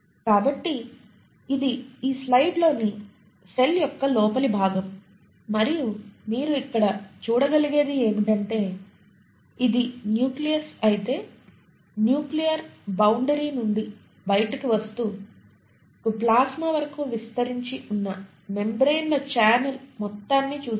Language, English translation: Telugu, So this is the interior of a cell in this slide and what you can see here is that starting from, so if this were the nucleus, from the nuclear boundary moving outwards you see a whole channel of membranes extending all the way up to the plasma membrane, so plasma membrane would be somewhere here